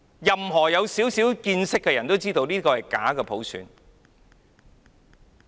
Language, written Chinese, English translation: Cantonese, 有少許見識的人都知道，這是假普選。, People with some knowledge will know that this is fake universal suffrage